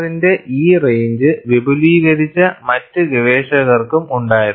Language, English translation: Malayalam, And there were also other researchers, who have extended this range of R